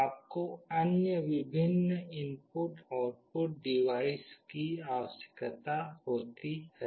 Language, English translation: Hindi, You require various other input output devices